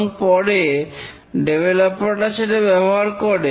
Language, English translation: Bengali, And these are taken up later by the developers